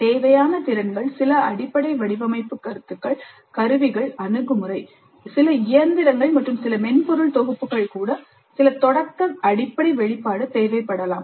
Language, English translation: Tamil, The competencies required, some basic design concepts, tools, attitude, even some machinery and some software packages, some elementary exposure, basic exposure would be required